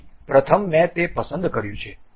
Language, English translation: Gujarati, So, first I have selected that